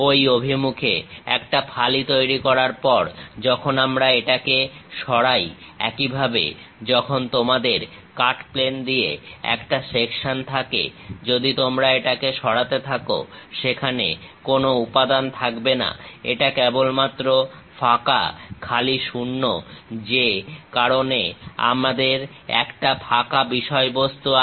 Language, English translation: Bengali, When we remove it, after making a slice in that direction; similarly, when you have a section; through cut plane if you are removing it, there is no material here, it is just blank empty vacuum that is the reason we have empty thing